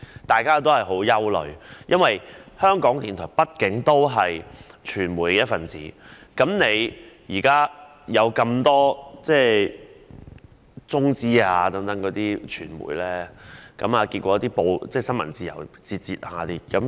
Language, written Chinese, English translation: Cantonese, 大家也感到十分憂慮，因為港台畢竟是傳媒的一分子，而現在許多中資傳媒的出現令新聞自由節節倒退。, We are all worry - ridden because after all RTHK is a member of the press and now the emergence of many China - funded media has led to retrogression in freedom of the press